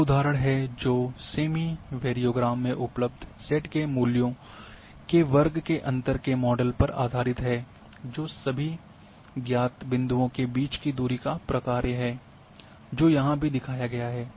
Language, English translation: Hindi, Here is the example that the semi variogram is based on modeling the squared differences in the z values as a function of the distance between all of the known points which is shown here as well